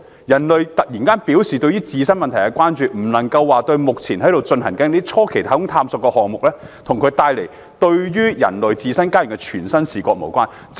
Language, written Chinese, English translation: Cantonese, 人類突然關注自身問題，與目前進行的初期太空探索項目，以及它為人類帶來的嶄新視野不無關係。, It is certainly not by accident that we begin to see the tremendous tasks waiting for us at a time when the young space age has provided us the first good look at our own planet